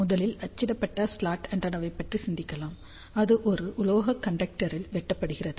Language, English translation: Tamil, So, let us first think of a printed slot antenna which is cut in a metallic conductor